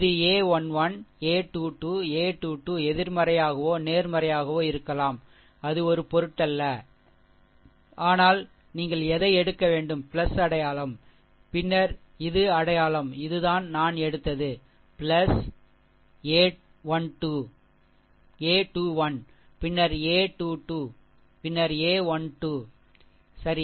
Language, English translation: Tamil, This a 1 1, a 2 2, a 3 3 may be negative positive, it does not matter, but whatever it is you have to take plus sign then this this one, that is all this things I have taken then plus your plus your a 2 1, then a 3 2 happen then a 1 3, right